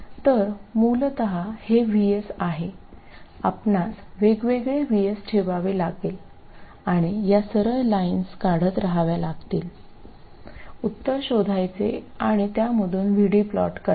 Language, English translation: Marathi, So essentially this is VS, you have to keep varying VS and keep drawing these straight lines, find the solution and plot the solution VD from that one